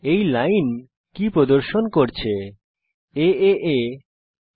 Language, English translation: Bengali, What does this line displaying aaa aaa….